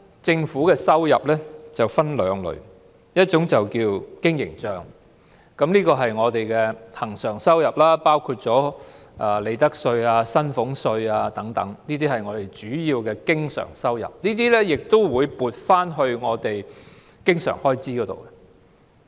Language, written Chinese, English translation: Cantonese, 政府的收入分為兩類：一是經營帳，是恆常收入，包括利得稅和薪俸稅等，是政府的主要收入，並會撥作經常開支。, The Governments revenue is divided into two categories . One is the operating account with recurrent revenue including profits tax and salaries tax . It is the Governments main source of income which will be allocated to meeting recurrent expenditure